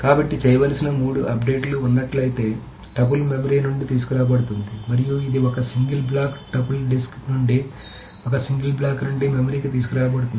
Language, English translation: Telugu, So if there are three updates that needs to be done, the tuple is brought from the memory and this is one single block, triple is brought to the memory from the disk, one single block, that's it